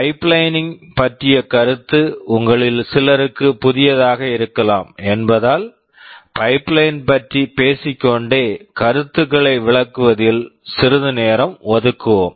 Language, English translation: Tamil, Because the concept of pipelining may be new to some of you, I shall be devoting some time in explaining the basic concept of pipeline